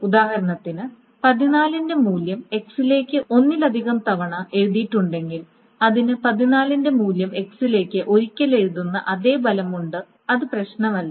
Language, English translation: Malayalam, So in other words, if the value of 14 is written to x in the example multiple times it has the same effect of writing 14 to x once and it doesn't matter